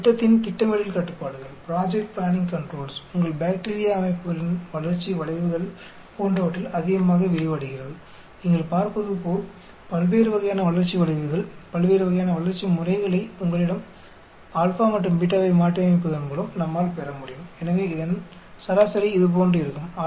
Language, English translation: Tamil, It extends extensively in project planning controls, growth curves in your bacterial systems like as you can see we can get different types of growth curves, different types of growth patterns you know, using modifying your alpha and beta